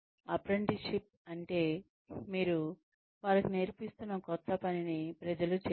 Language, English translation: Telugu, Apprenticeship means, that you let people do, what the new thing, that you are teaching them, to do